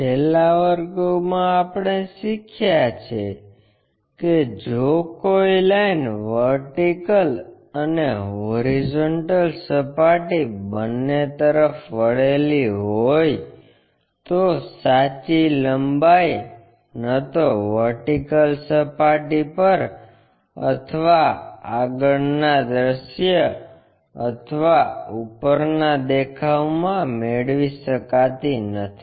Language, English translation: Gujarati, In the last classes we have learnt, if a line is inclined to both vertical plane, horizontal plane, true length is neither available on vertical plane nor on a frontfront view or the top views